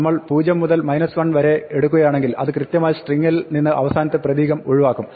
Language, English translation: Malayalam, If we will take the slice from 0 up to minus 1 then it will correctly exclude the last character from the string